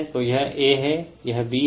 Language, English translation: Hindi, So, this is A, this is B